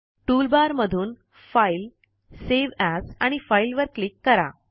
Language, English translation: Marathi, From the toolbar, click File, Save As and File